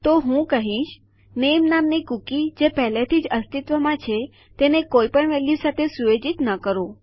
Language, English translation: Gujarati, So if I were to say set a cookie that already exists called name, to no value at all